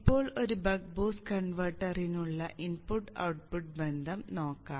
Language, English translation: Malayalam, Now let us look at the input output relationship for a buck boost converter